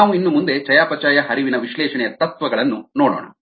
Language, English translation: Kannada, we will look at the principles of metabolic flux analysis next